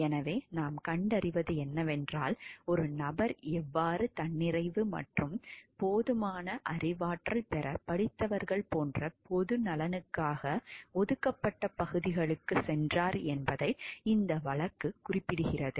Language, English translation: Tamil, So, there what we find is like this case addresses how a person went to areas were reserved for the public good like educated people to become self sufficient and knowledgeable enough